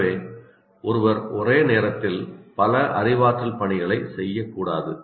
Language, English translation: Tamil, It cannot perform two cognitive activities at the same time